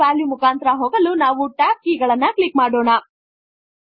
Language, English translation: Kannada, Let us click on the tab keys to go through each value